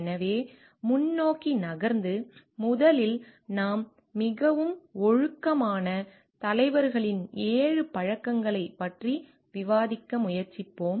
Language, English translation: Tamil, So, moving forward, first we will try to discuss about the 7 habits of highly moral leaders